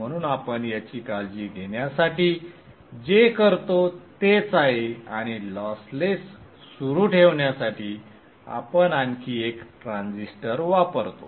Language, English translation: Marathi, So to take care of that what we do is that and still continue to be lossless, we use one more transistor